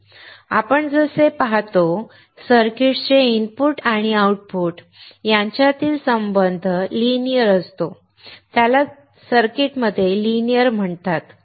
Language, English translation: Marathi, Now as we see here, the relation between the input and output of a circuit is linear, it is called the linear in circuit